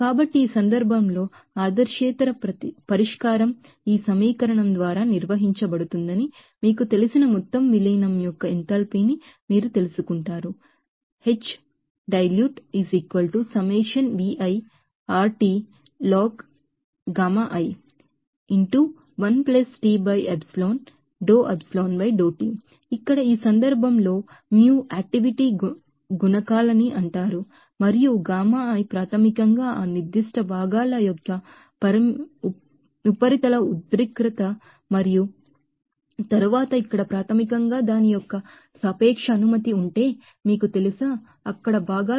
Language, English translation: Telugu, So, in that case that you know that enthalpy of that total dilution of that you know non ideal solution can be defined by this equation here in this case, nu is called activity coefficients and gammai is basically the surface tension of that particular components and then, here if aslant basically the relative permittivity of that, you know, components there